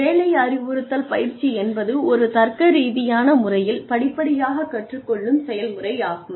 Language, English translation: Tamil, Job instruction training, is a step by step learning process, through a logical sequence of steps